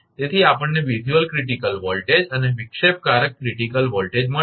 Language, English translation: Gujarati, So, visual critical voltage and disruptive critical voltage we got